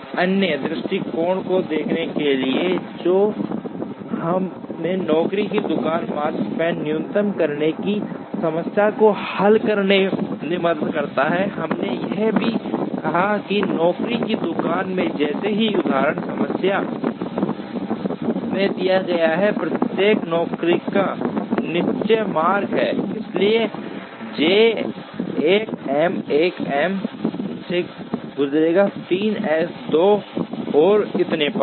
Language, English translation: Hindi, We are now trying to see another approach, which helps us to solve the Makespan minimization problem on the job shop, we also said that in a job shop as given in the example problem, each job has a definite route, so J 1 will go through M 1 M 3 M 2 and so on